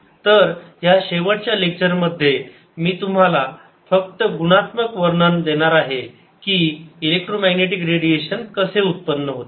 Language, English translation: Marathi, so in this final lecture i'm just going to give you a qualitative description of how you electromagnetic radiation arises